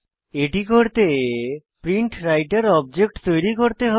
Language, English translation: Bengali, For that, we will have to create a PrintWriter object